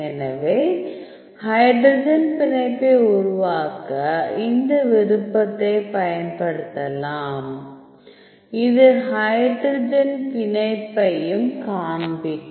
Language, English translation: Tamil, So, you can use this option build hydrogen bond that will also show you the hydrogen bond which is